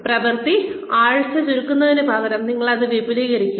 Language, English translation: Malayalam, May be sort of, instead of shrinking the work week, you expand it